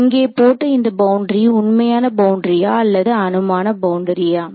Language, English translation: Tamil, Now this boundary that you have put over here it is; is it a real boundary or a hypothetical boundary